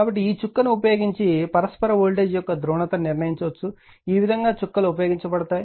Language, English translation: Telugu, So, so this way dots are used to determine the polarity of the mutual voltage using this dot